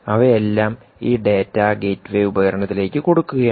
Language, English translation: Malayalam, all of them are pushing data to what is known as this gateway device